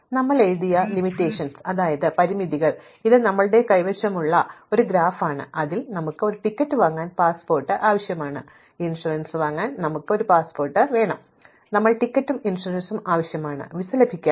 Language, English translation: Malayalam, So, if we look at the constraints that we wrote this is the graph that we had, so we had a constraints with says we need a passport to buy a ticket, we need a passport to buy insurance, we need both a ticket and insurance to get a visa